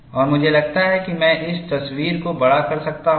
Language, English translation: Hindi, And I think, I can enlarge this picture